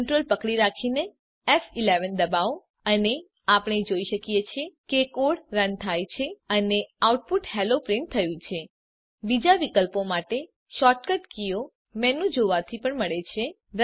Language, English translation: Gujarati, Let us try it now.Hold Ctrl and press F11 and we see that the code is run and the output Hello has been printed The shortcut keys for other options can be found by looking at the menu